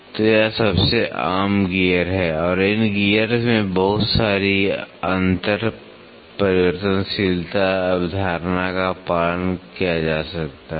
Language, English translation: Hindi, So, this is the most common gear and lot of inter changeability concept can be followed in these gears